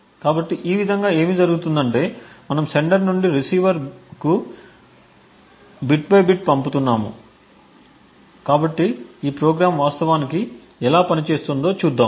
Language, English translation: Telugu, So, in this way what would happen is that we are sending bit by bit from the sender to the receiver, so let us see how this program actually works